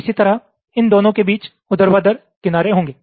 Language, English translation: Hindi, similarly, between these there will be vertical edge